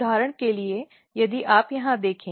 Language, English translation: Hindi, So, for example, if you look here